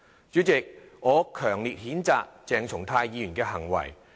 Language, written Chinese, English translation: Cantonese, 主席，我強烈譴責鄭松泰議員的行為。, President I strongly condemn the behaviour of Dr CHENG Chung - tai